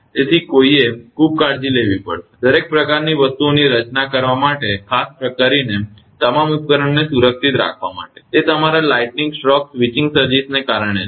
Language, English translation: Gujarati, So, one has to be very careful for designing all sort of thing particularly to protect all the equipments, that is due to your lightning stroke switching surges etcetera